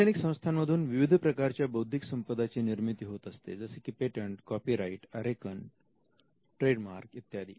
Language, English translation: Marathi, Now though academic institutions generate more than one type of IP, we know instances where they generate patents, copyright, designs, trademark and new plant varieties